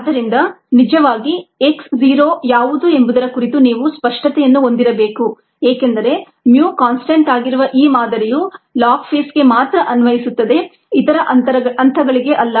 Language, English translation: Kannada, so we need to keep ah, we need to have clarity on what x zero actually is, because this model where mu is a constant, is applicable only to the log phase, not any other phase